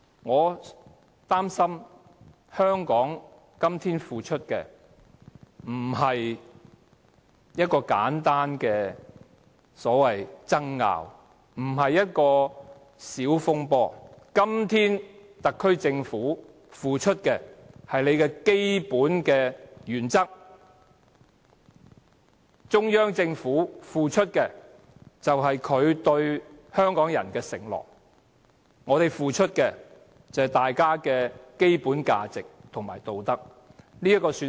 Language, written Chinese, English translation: Cantonese, 我擔心香港今天付出的並非簡單的所謂爭拗，也不是小風波，特區政府今天付出的是它的基本原則；而中央政府付出的是它對香港人的承諾；香港人付出的是大家的基本價值和道德。, I am worried that the price that Hong Kong is paying today is not simply arguments or contentions so to speak; nor is it a minor turmoil . The price that the SAR Government is paying today is its basic principles whereas the price that the Central Government is paying is its promises to Hongkongers and the price that Hongkongers are paying is our basic values and ethics